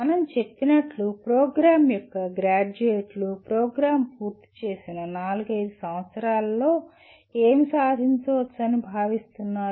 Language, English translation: Telugu, As we mentioned, what the graduates of the program are expected to achieve within four to five years of completing the program